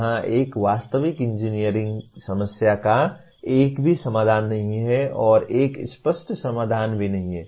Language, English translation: Hindi, Here a real world engineering problem does not have a single solution and also not an obvious solution